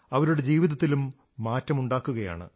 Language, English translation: Malayalam, He is changing their lives too